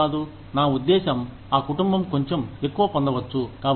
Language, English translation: Telugu, Why not, I mean, that family could get a little more